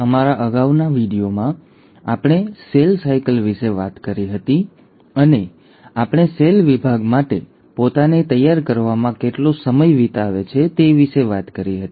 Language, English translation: Gujarati, In our previous video, we spoke about cell cycle and we did talk about how much time a cell spends in preparing itself for cell division